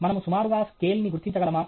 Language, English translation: Telugu, Can we look at approximal scale